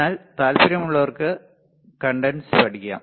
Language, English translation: Malayalam, But those who are interested can learn Cadence